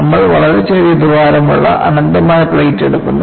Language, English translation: Malayalam, You take an infinite plate with a very small hole